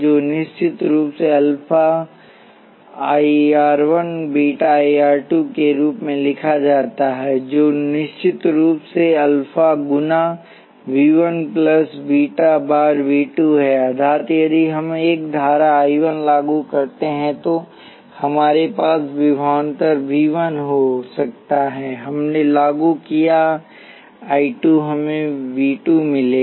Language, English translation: Hindi, which of course, can be written as alpha times I 1 r plus beta times I 2 R which of course is alpha times V 1 plus beta times V 2 that is if we applied a current I 1 we would could have voltage V 1, we applied I 2, we would got V 2